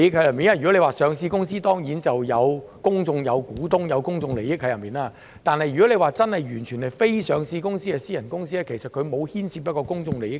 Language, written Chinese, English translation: Cantonese, 如果是一間上市公司，當然會有公眾股東，會涉及公眾利益，但如果完全是非上市公司，是私人公司，其實當中沒有牽涉公眾利益。, If it is a listed company there will certainly be public shareholders and public interest will be involved but if it is an unlisted company a private company there is actually no public interest involved